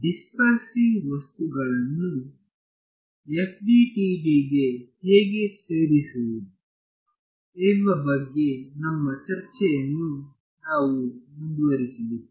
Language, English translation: Kannada, So, we will continue our discussion of how to incorporate dispersive materials into FDTD